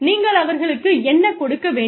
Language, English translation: Tamil, What do you need to give them